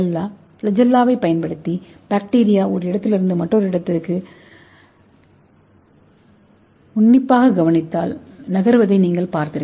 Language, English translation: Tamil, You might have seen that bacteria move from one location to another location using the flagella